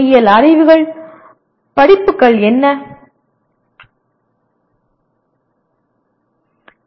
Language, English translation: Tamil, What are the engineering science courses